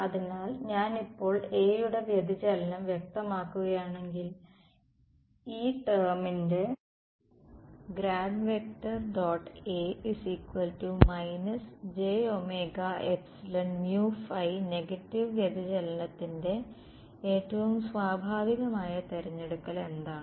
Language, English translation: Malayalam, So, if I now specify the divergence of A in and what is the most natural choice for divergence of a negative of this term ok